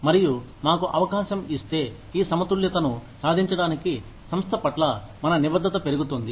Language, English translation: Telugu, And, if we are given an opportunity, to achieve this balance, our commitment to the organization, increases